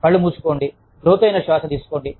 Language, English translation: Telugu, Close your eyes, take a deep breath